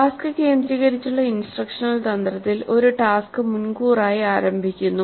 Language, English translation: Malayalam, The task centered instructional strategy starts with the whole task upfront